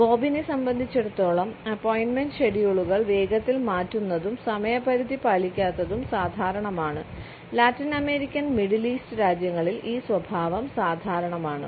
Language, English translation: Malayalam, For Bob it is normal to quickly change appointment schedules and not meet deadlines this behavior is common in Latin American and middle eastern countries